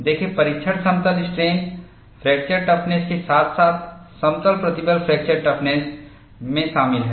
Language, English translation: Hindi, See, the testing is so involved in plane strain fracture toughness, as well as plane stress fracture toughness